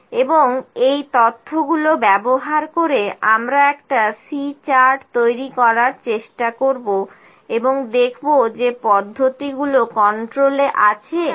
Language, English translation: Bengali, And the using this data, try to make a C chart and see whether the processes in control or not